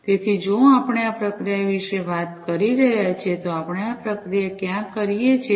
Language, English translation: Gujarati, So, if we are talking about this processing, where do we do this processing